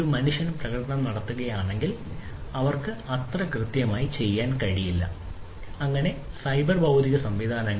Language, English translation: Malayalam, If a human was performing, then they would not be able to do it that much accurately; so cyber physical systems